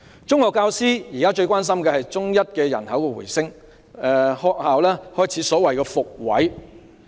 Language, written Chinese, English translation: Cantonese, 中學教師現時最關心的是中一的人口回升，學校開始所謂的"復位"。, The rebound of secondary one population is something that secondary school teachers most concern about because schools will then have to reinstate the school places again